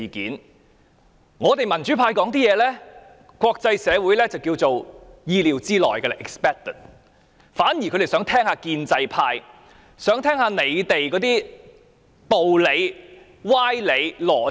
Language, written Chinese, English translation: Cantonese, 對於我們民主派的發言，國際社會認為是意料之內，他們反而想聽聽建制派的道理、歪理、邏輯。, While the speeches given by the pro - democracy camp are within the expectation of the international community the latter is eager to listen to the arguments fallacies or logic presented by the pro - establishment camp